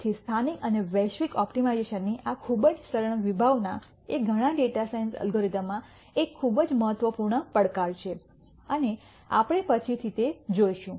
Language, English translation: Gujarati, So, this very simple concept of local and global optimization is a very important challenge in many data science algorithms and we will see those later